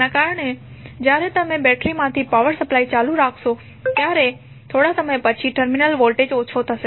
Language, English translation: Gujarati, So, because of that when you keep on supplying power from the battery after some time the terminal voltage will go down